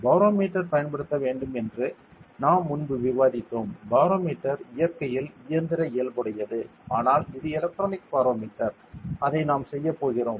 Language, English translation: Tamil, That we discussed earlier as a to be used as a barometer how it barometer is mechanical in nature the conventional one, but this one is in an electronic barometer that we are going to do ok